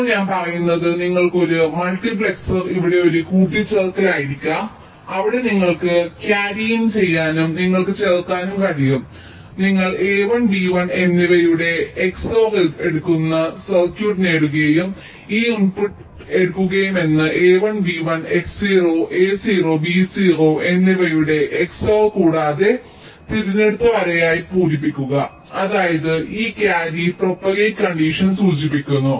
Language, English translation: Malayalam, now what i am saying is that you can have a multiplex are here possibly as an addition where you can take the carry in and you can add ah getting circuit where you take the x or of a one, b one and take the this input also, which is x or of a one, b one, and xor of a zero, b, zero, end it and fill it as select lane, which means this indicates the carry propagate condition